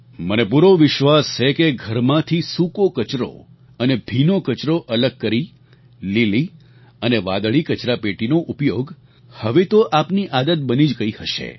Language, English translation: Gujarati, I am very sure that using blue and green dustbins to collect dry and wet garbage respectively must have become your habit by now